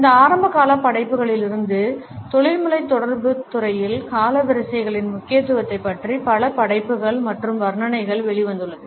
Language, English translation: Tamil, Since these early works, we find that a number of works and commentaries have come out on the significance of chronemics in the field of professional communication